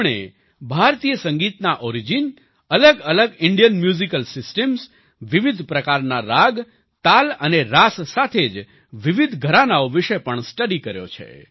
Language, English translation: Gujarati, He has studied about the origin of Indian music, different Indian musical systems, different types of ragas, talas and rasas as well as different gharanas